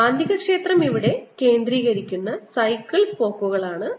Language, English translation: Malayalam, here they are, you know, bicycles spokes that make the magnetic field concentrated here